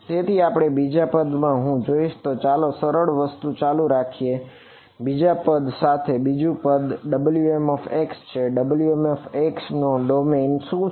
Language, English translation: Gujarati, So, this second term if I look at let us start with the easy thing the second term the second term W m x what is the domain of W m x